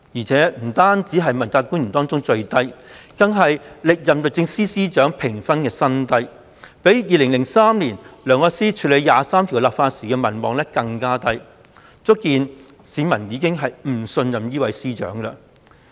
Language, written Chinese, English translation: Cantonese, 這評分不單是問責官員中最低，更是歷任律政司司長評分的新低，比2003年梁愛詩處理就《基本法》第二十三條立法時的民望更低，足見市民已不信任司長。, This rating is not only the lowest one among all the accountability officials but also a record low among the Secretary for Justice of the previous terms and it is even lower than Elsie LEUNGs popularity rating in 2003 when she handled the enactment of legislation for implementing Article 23 of the Basic Law . This aptly shows that people no longer have confidence in the Secretary for Justice